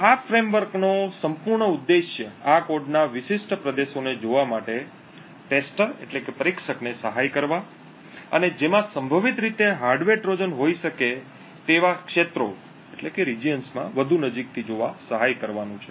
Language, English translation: Gujarati, The whole objective of this framework is to aid the whole objective of this entire framework is to aid the tester to look at particular regions in this code and look more closely at these regions which could potentially have a hardware Trojan in them